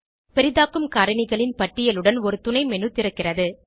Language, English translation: Tamil, A submenu opens with a list of zoom factors